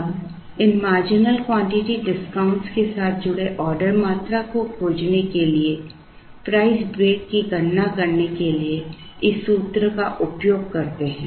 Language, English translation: Hindi, And we use this formula to compute the order quantity considering the marginal quantity discount